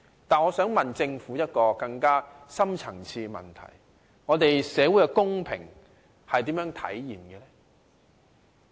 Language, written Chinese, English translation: Cantonese, 但是，我想問政府一個更深層次的問題：社會的公平如何體現？, However I would like to ask a deeper question how can we realize social equity?